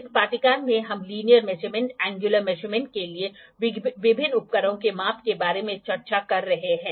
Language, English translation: Hindi, In this course we are discussing about the measurements about the various instruments for linear measurements, angular measurements